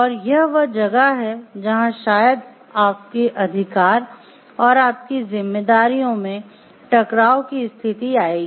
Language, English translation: Hindi, And that is where maybe your rights and your responsibilities and we will come to conflict